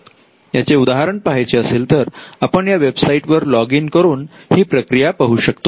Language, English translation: Marathi, Now if you want to see a sample of this, you could just log on to this website and and see how a sample works